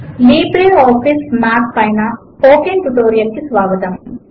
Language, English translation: Telugu, Welcome to the Spoken tutorial on LibreOffice Math